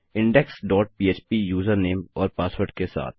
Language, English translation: Hindi, index dot php with a user name and password